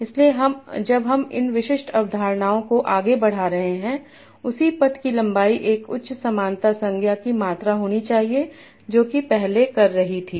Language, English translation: Hindi, So when we are moving to specific concepts the same path length should amount to a higher similarity now that it was doing earlier